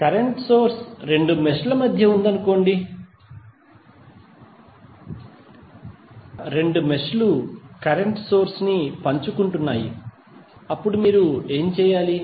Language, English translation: Telugu, But suppose if the current source exist between two meshes where the both of the meshes are sharing the current source then what you have to do